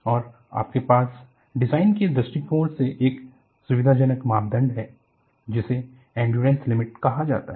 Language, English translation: Hindi, And, you also have from a design point of view, a convenient parameter called the endurance limit